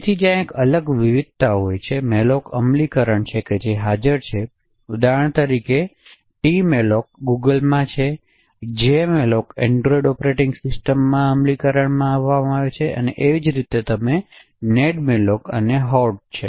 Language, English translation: Gujarati, So there are a different variety of malloc implementations that are present, the tcmalloc for example is from Google, jemalloc is implementing in android operating systems and similarly you have nedmalloc and Hoard